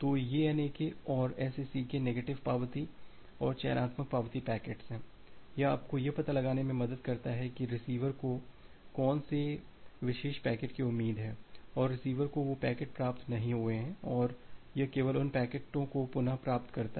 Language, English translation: Hindi, So, this NAK and the SACK packets the negative acknowledgement and the selective acknowledgement packets, it helps you to find out that which particular packet is expected by the receiver and like that receiver has not received those packets and it retransmit only those packets